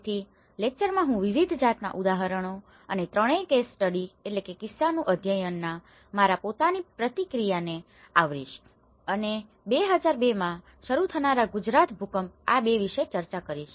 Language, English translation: Gujarati, So, in this lecture, I am going to cover a wide variety of examples and my own personal interaction with all these 3 case studies which I am going to discuss about the Gujarat earthquake starting in 2002 and to this one, two